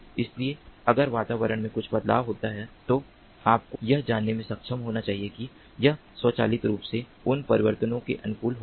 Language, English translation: Hindi, so if there is some change in the environment, this should be able to you know automatically